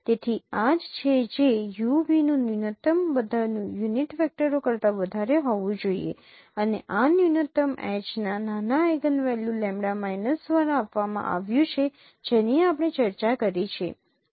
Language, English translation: Gujarati, So that is what the minimum of EUB should be large over all unit vectors and this minimum is given by the smaller eigenvalue lambda minus of H that we discussed